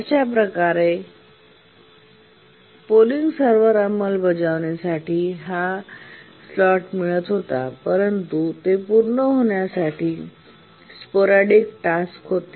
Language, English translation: Marathi, So the polling server was getting this slot for execution, but towards the end of it just before it completes the sporadic task occurred